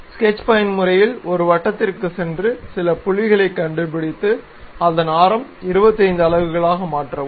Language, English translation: Tamil, So, in the sketch mode go to a circle locate some point and change its radius to 25 units